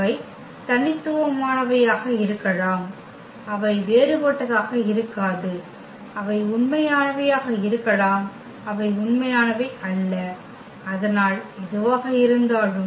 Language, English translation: Tamil, They may be distinct and they may not be distinct, they may be real, they may not be real so whatever